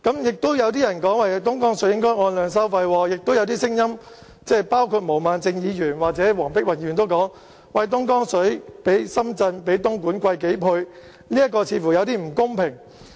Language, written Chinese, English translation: Cantonese, 亦有人說東江水應該按量收費，亦有聲音包括毛孟靜議員和黃碧雲議員也指出，東江水的價錢較深圳和東莞昂貴數倍，似乎有點不公平。, Some have said that the supply of Dongjiang water should be based on the quantity - based charging approach . Some Members including Ms Claudia MO and Dr Helena WONG have also pointed out that it seems to be somewhat unfair as Hong Kong purchases Dongjiang water at a price several times higher than those paid by Shenzhen and Dongguan